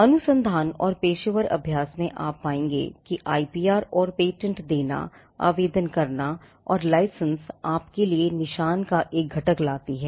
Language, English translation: Hindi, Now, in research and professional practice you will find that IPR and patents: granted, filed and license, fetches you a component of mark